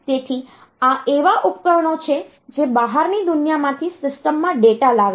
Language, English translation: Gujarati, So, these are the devices that bring data into the system from the outside world